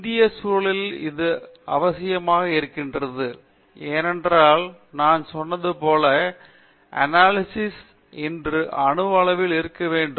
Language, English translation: Tamil, That is necessary thing especially in the Indian context because as I told you, analysis has to be at the atomic level today